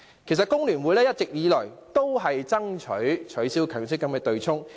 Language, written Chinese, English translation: Cantonese, 其實，工聯會一直以來都爭取取消強積金對沖機制。, In fact the Federation of Trade Unions FTU has all along been championing for the abolition of the MPF offsetting mechanism